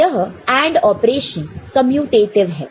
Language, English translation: Hindi, So, this AND operation is commutative ok